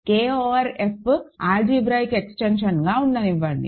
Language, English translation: Telugu, Let K over F be an algebraic extension